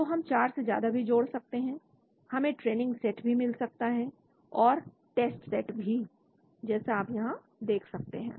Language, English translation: Hindi, So we can add more than 4, we can also have training set and test set also as you can see here